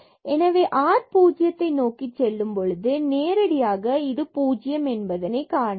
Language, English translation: Tamil, So, when r goes to 0 this limit will be 0